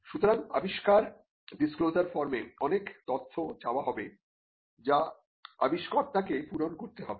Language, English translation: Bengali, So, the invention disclosure form will have quite a lot of quite a lot of information, for the to be filled by the inventor